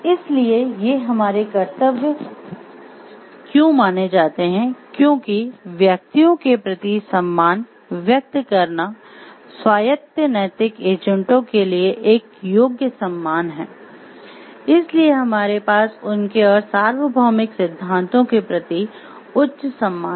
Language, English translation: Hindi, So, why these are considered to be our duties because, they respect x express respect for persons expression one qualified regard for autonomous moral agents, so we have a high regard for them and a universal principles